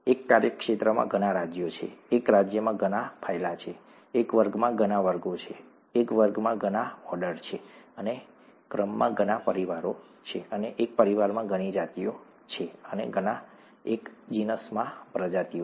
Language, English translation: Gujarati, There are many kingdoms in a domain, there are many phyla in a kingdom, there are many classes in a phylum, there are many orders in a class, and there are many families in an order and there are many genuses in a family and many species in a genus